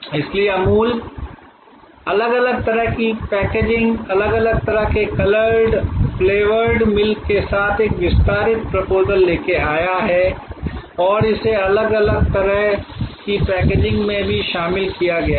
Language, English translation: Hindi, So, Amul have come out with a therefore an expanded proposition with different kind of packaging, different kind of coloured, flavoured milk and positioning it as a, even in different kind of packaging